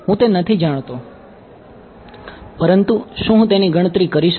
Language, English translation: Gujarati, I do not know it, but can I calculate it